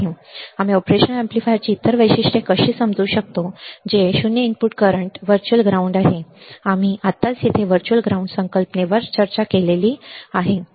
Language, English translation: Marathi, We will see; how can we understand the other characteristics of operation amplifier which are the 0 input current virtual ground, we have just discussed virtual ground concept right over here, right